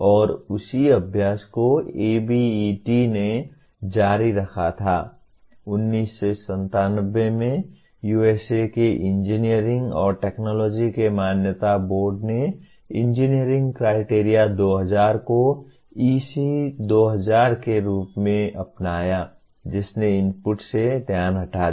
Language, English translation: Hindi, And the same exercise was continued by ABET, the accreditation board of engineering and technology of USA in 1997 adopted Engineering Criteria 2000 labelled as EC2000 which shifted the focus away from the inputs